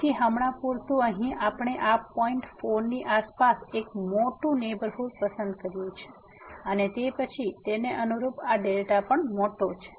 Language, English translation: Gujarati, So, for instance here we have chosen a big neighborhood of around this point 4 and then, correspondingly this delta is also big